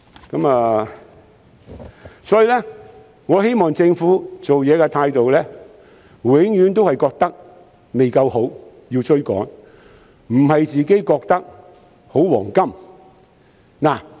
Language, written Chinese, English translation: Cantonese, 因此，我希望政府的做事態度永遠也覺得未夠好、要追趕，而不是覺得處於"黃金時代"。, I thus wish that the Government can always have the feeling of not being good enough and having to catch up instead of thinking that it is in a golden era